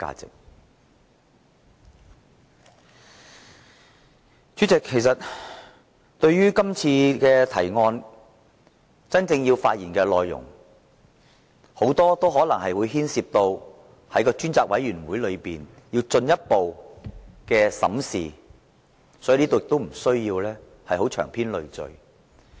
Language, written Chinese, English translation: Cantonese, 代理主席，這項議案所關乎的具體事實，很多都可能須由專責委員會進一步審視，所以我不在此長篇贅述。, Deputy President as many of the specific facts to which this motion relates may have to be further examined by the Select Committee I will not discuss them at length here